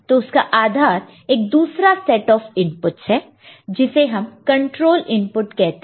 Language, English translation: Hindi, So, based on again another set of input this is called control input